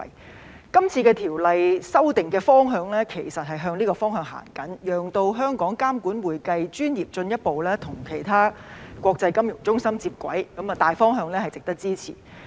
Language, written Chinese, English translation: Cantonese, 《2021年財務匯報局條例草案》的修訂方向其實是朝此前進，讓香港監管會計專業進一步與其他國際金融中心接軌，大方向值得支持。, The amendments in the Financial Reporting Council Amendment Bill 2021 the Bill are geared towards further aligning Hong Kongs regulatory regime of the accounting profession with that of other international financial centres . This general direction is worth supporting